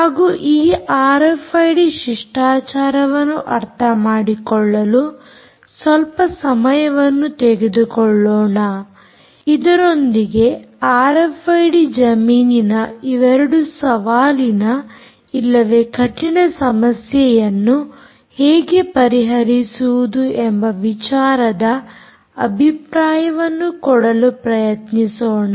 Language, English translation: Kannada, ok, and let us spend some time understanding ah, this r f i d protocol ah with with view of trying to give you an idea of how to solve these two ah challenging problems or hard problems in the r f i d domain